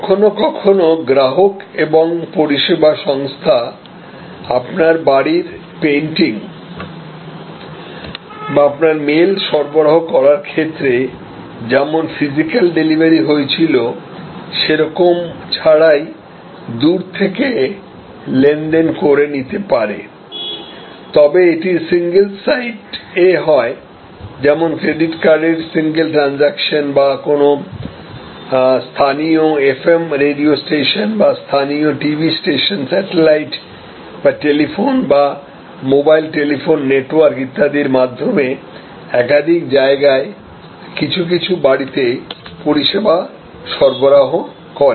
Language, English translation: Bengali, Sometimes customer and service organization can transact remotely without any physical delivery as in case of painting of your house or delivery of your mail, but so these included in single site, credit card single transaction or a local FM radio station or local TV station delivering to a few residences to multiple locations like broadcast over satellite or used telephone, mobile telephone network and so on